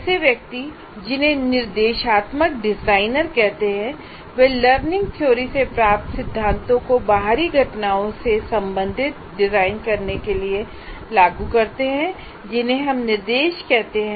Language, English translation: Hindi, Now, there are persons called instructional designers who apply the principles derived from learning theories to design external events we call instruction